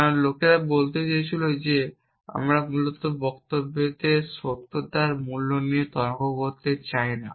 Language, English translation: Bengali, Because people wanted to say that we do not want to argue about truth value of statement essentially